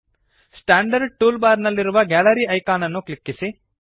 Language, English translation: Kannada, Click on the Gallery icon in the standard toolbar